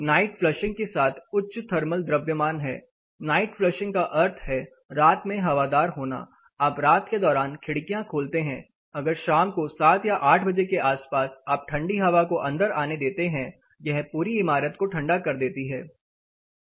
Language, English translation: Hindi, High thermal mass along with night flushing that is night ventilated you open the windows during night say around 7 or 8 o clock in the evening you open the windows you let the cold air coming, it chills out the whole building